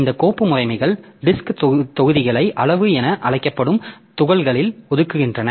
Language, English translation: Tamil, This file system allocate disk blocks in chunks called extent